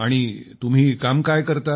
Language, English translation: Marathi, And what do you do